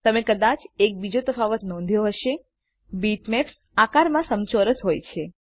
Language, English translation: Gujarati, You may have noticed one other difference bitmaps are rectangular in shape